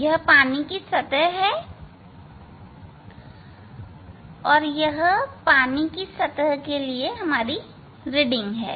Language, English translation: Hindi, that is the water surface, that is reading for the water surface